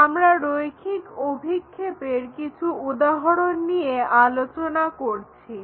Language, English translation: Bengali, And we are working out few examples on line projections